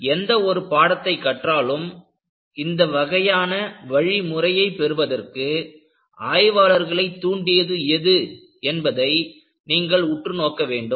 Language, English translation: Tamil, In any subject development, you have to look at, what prompted the people, to arrive at this kind of a methodology